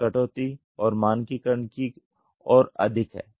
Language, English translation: Hindi, It is more towards on reduction and standardization